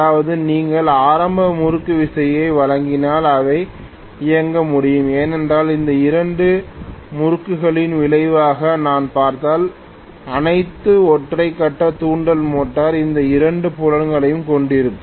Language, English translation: Tamil, That means if you give an initial torque then it will be able to run that is because if I look at the resultant of these two torques, after all the single phase induction motor is having both these fields